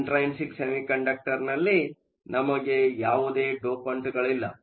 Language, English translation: Kannada, In an intrinsic semiconductor, we have essentially no dopants